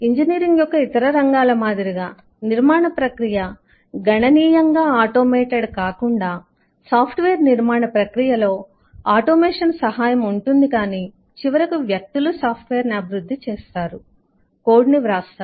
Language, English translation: Telugu, unlike most other fields of engineering where the process of construction itself can, is significantly automated, here in software the process of construction has automation aid, but its finally people who develop software, who write the code